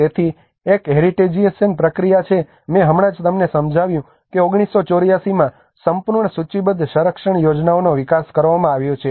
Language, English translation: Gujarati, So one is the heritagisation process I just explained you that in 1984 the whole listed the conservation plan has been developed